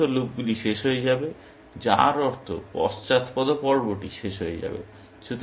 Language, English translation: Bengali, All these loops will terminate, which means the backward phase will terminate